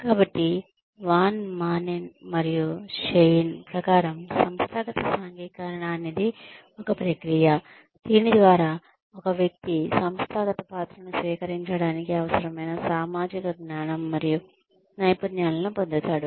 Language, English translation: Telugu, So, according to Van Maanen and Schein, the organizational socialization is a process by which, an individual acquires the social knowledge and skills, necessary to assume an organizational role